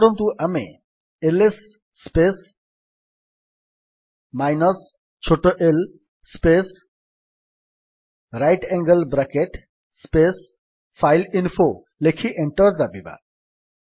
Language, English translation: Odia, Say we write ls space minus small l space right angle bracket space fileinfo and press Enter